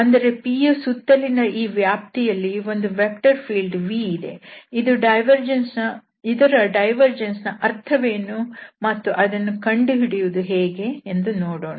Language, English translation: Kannada, So, this is we have the some vector field v there in this domain and around this P or at P we are going to compute that what this divergence signifies and how to compute this divergence